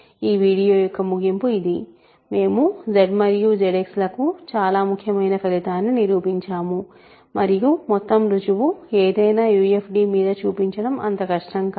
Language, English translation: Telugu, So, this is the conclusion of this video we have proved a very important result for Z and Z X and it is not difficult to show that the whole proof carries over for any UFD